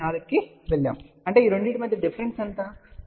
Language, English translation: Telugu, 4 so; that means, what is the difference of these two, the difference is plus j 0